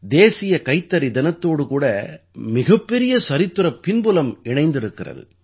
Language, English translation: Tamil, National Handloom Day has a remarkable historic background